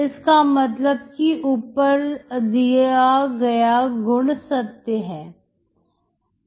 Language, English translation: Hindi, So that means the above property is true